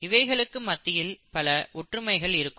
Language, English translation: Tamil, So clearly there are similarities